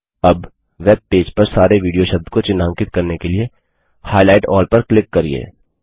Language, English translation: Hindi, Now click on Highlight all to highlight all the instances of the word video in the webpage